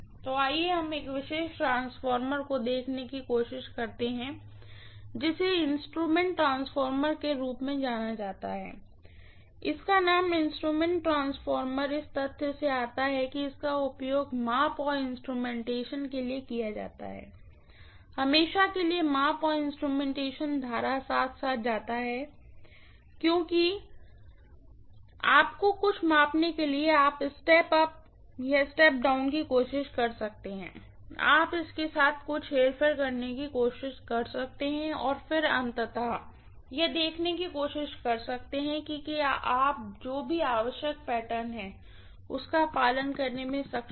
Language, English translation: Hindi, So let us try to look at one of the special transformers which is known as instrument transformer, the name instrument transformer comes from the fact that this is being used for measurement and instrumentation, invariably measurement and instrumentation go hand in hand, because you may measure something, you may try to step up or step down, you may try to do some manipulation with it, and then you may try to ultimately see whether you know, you are able to follow whatever is the required pattern